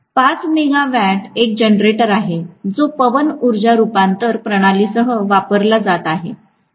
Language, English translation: Marathi, 5 megawatt is one of the generators that are being used along with wind energy conversion system